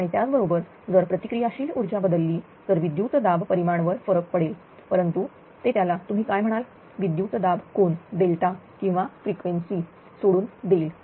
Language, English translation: Marathi, And if the similarly if the reactive power changes right there is small change in reactive power then voltage magnitude will be affected, but it leaves the your what you call voltage angle delta or the frequency